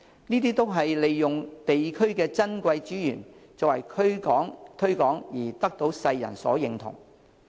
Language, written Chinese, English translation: Cantonese, 這些都是利用地區的珍貴資源作推廣而得到世人所認同。, Through promotion these sites of precious local natural resources have gained world recognition